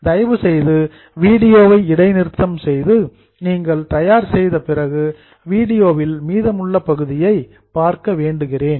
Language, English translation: Tamil, I will halt here, please pause the video and then after you are ready see the remaining part of video